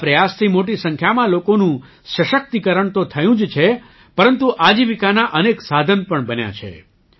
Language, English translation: Gujarati, This effort has not only empowered a large number of people, but has also created many means of livelihood